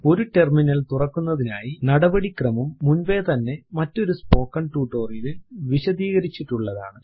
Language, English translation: Malayalam, A general procedure to open a terminal is already explained in another spoken tutorial